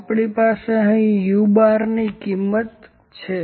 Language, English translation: Gujarati, So, we have the value u bar here